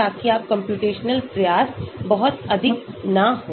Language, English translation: Hindi, so that your computational effort is not too much